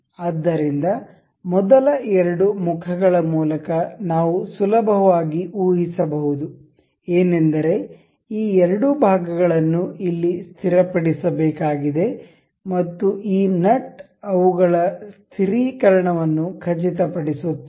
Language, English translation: Kannada, So, by the first prima facie we can easily guess that these two part has to be fixed over here and this nut would ensure their fixation